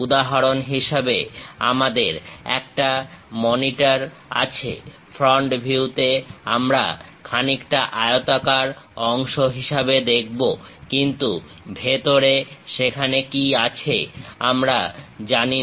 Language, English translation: Bengali, For example, we have a monitor, at front view we will see something like a rectangular portion; but inside what it is there we do not know